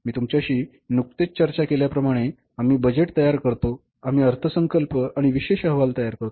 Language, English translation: Marathi, As I just discussed with you, we prepare the budgets and special reports